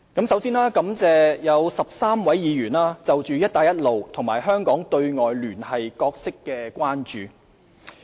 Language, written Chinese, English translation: Cantonese, 首先，感謝有13位議員就"一帶一路"及香港對外聯繫角色表達關注。, First I thank the 13 Members who have expressed their concerns about the Belt and Road Initiative and Hong Kongs role in establishing external connections